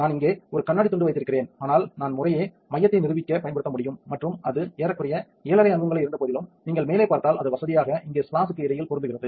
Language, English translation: Tamil, I have a piece of glass here, but I can use to demonstrate the center at respectively and even though it's about approximately 7 and half inches across here if you look through the top it's still comfortably fits in between the splash here